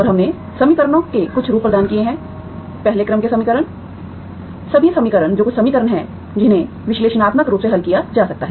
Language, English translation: Hindi, And we have provided certain form of equations, 1st order equations, all the equations that certain equation that can be solved analytically